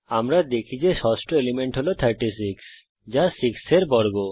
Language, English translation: Bengali, We see the sixth element is now square of 6, which is 36